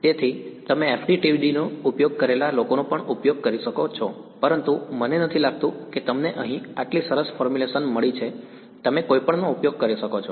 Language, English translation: Gujarati, So, you can use people have used FDTD also, but I do not think you get such a nice formulation over here you can use any